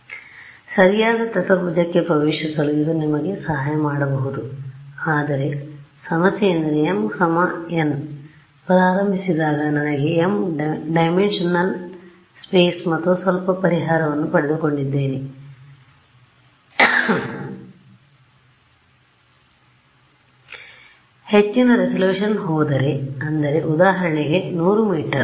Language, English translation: Kannada, So, it may help you in sort of getting into the right quadrant, but the problem is when I start with m equal to n, I have an m dimensional space and I have got some solution over there now when I want to go for a higher resolution let us say I go to you know 100 m